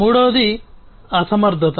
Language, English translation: Telugu, Third is the inefficiency